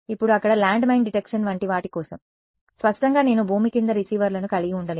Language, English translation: Telugu, Now for something like landmine detection there; obviously, I cannot have receivers under the ground